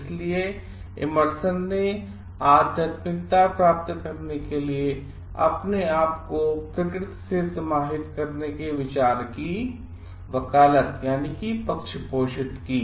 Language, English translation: Hindi, So, Emerson advocated the idea of yielding oneself to nature for attaining spirituality